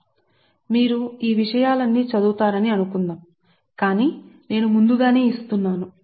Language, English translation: Telugu, suppose you have all these things, will study, but in advance i am giving